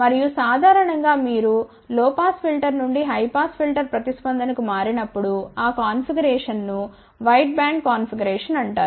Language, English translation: Telugu, And, in general when you switch from low pass filter to high pass filter response, that configuration is known as wide band configuration now instead of using 3